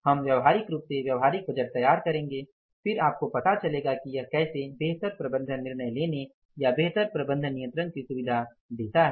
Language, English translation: Hindi, We will practically prepare the practical budget then you will come to know that how it facilitates better management decision making or the better management control